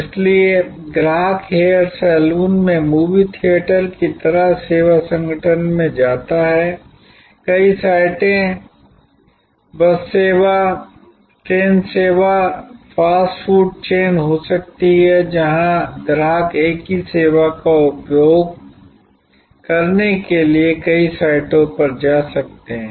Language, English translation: Hindi, So, customer goes to the service organization like the movie theatre at the hair salon, multiple sites could be bus service, train service, fast food chain, where the customer can go to multiple sites for consuming the same service